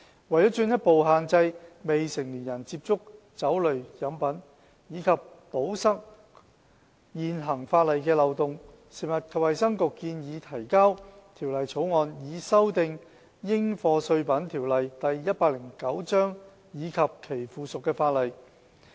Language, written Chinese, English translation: Cantonese, 為進一步限制未成年人接觸酒類飲品及堵塞現行法例的漏洞，食物及衞生局建議提交《條例草案》，以修訂《應課稅品條例》及其附屬法例。, To further restrict minors access to liquor drinks and plug the loopholes in existing legislation the Food and Health Bureau proposes the Bill to amend the Dutiable Commodities Ordinance Cap